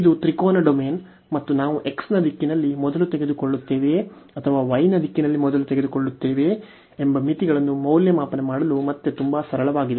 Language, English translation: Kannada, So, this is a triangular domain and again very simple to evaluate the limits whether we take first in the direction of x or we take first in the direction of y